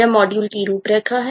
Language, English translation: Hindi, this is the module outline